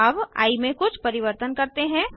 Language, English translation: Hindi, Now let us do something with i